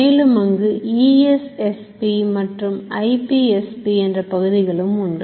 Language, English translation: Tamil, There is something called EPSP and there is something called IPSP